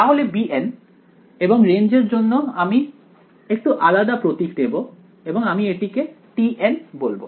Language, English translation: Bengali, So, b n and for the range I am going to use a slightly different symbol I am going to call them t n ok